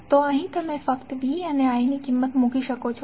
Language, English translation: Gujarati, So here you can simply put the value of V and I